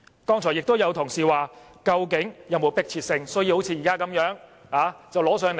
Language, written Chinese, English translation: Cantonese, 剛才亦有同事問到，究竟是否有迫切性，要現在就提交立法會？, Certain Members have also asked if there is really an urgent need to table this to the Legislative Council right now?